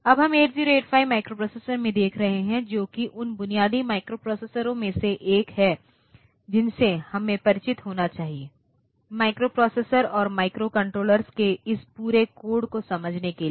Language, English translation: Hindi, Now, from today onwards we will be looking into the 8085 microprocessor which is one of the, I should say the basic microprocessors that we should be familiar with to understand this whole codes of microprocessors and microcontrollers